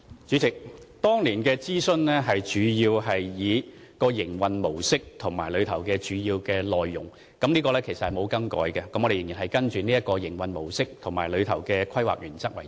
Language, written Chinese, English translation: Cantonese, 主席，當年的諮詢主要是以營運模式和主要內容為主，這是沒有更改的，我們仍然按照這種營運模式，以及當中的規劃原則為主。, President the consultation at that time was mainly on the operation mode and the main content of the project which remain unchanged . We will still use the same operation mode and planning principle